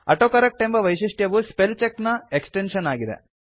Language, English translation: Kannada, The AutoCorrect feature is an extension of Spellcheck